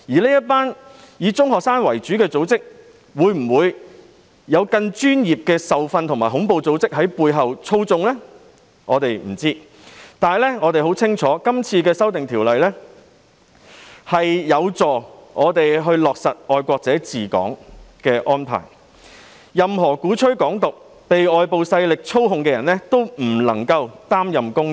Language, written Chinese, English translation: Cantonese, 這個以中學生為主的組織有否更專業的受訓和恐怖組織在背後操縱，我們不得而知，但我們很清楚《條例草案》有助落實"愛國者治港"的安排，令任何鼓吹"港獨"、被外部勢力操控的人不能夠擔任公職。, It is uncertain whether this group consisting mostly of secondary students has received professional training and is manipulated by terrorist organizations behind but we know very well that the Bill will help implement the principle of patriots administering Hong Kong so that people advocating Hong Kong independence or manipulated by external forces will not be able to hold public office